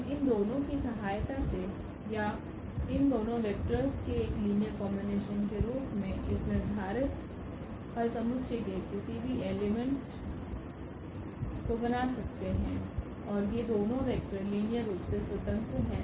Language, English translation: Hindi, We can generate any element of this solution set with the help of these two or as a linear combination of these two 2 vectors and these two vectors are linearly independent